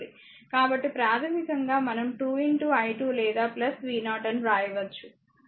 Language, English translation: Telugu, So, basically we can write either 2 into i 2 or plus v 0